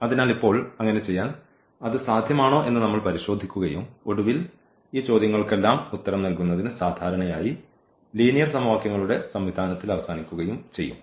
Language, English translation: Malayalam, So, now, to do so, we will check whether it is possible or not and eventually we end up usually with the system of linear equations to answer all these questions